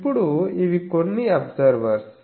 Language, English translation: Telugu, Now, these are some these are observers